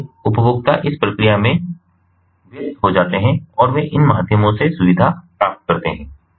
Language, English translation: Hindi, so consumers get engaged in the process and they get advantaged ah through these means